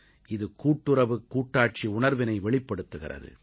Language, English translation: Tamil, It symbolises the spirit of cooperative federalism